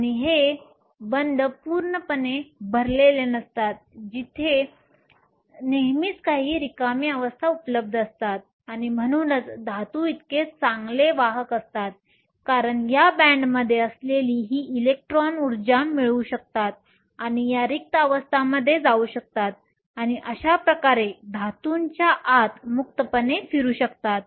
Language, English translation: Marathi, And these bands are not completely full there are always some empty states are available and this is why metals are such good conductors because these electrons which are there in these bands can acquire energy and go to these empty states and thus can move freely within the metal and this makes metals very good conductors